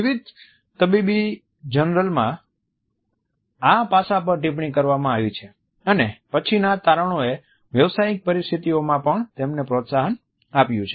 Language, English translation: Gujarati, In various medical journals this aspect has been commented on and later findings have corroborated them in professional situations also